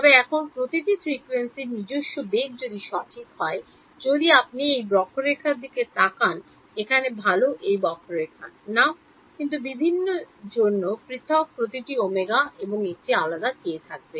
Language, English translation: Bengali, But, now each frequency has its own velocity right; if you look at this curve over here well not in this curve, but for different every different omega will have a different k